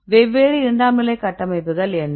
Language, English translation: Tamil, What are different secondary structures